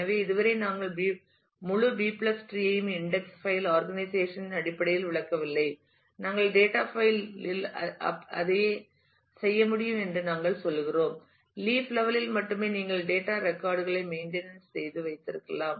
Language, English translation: Tamil, So, far we have not explained the whole B + tree in terms of index file organization and we are saying that you can do the same thing with the data file and only at the leaf level you will have to actually keep the data records for maintenance